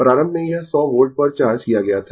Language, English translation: Hindi, Initially, it was charged at 100 volt, right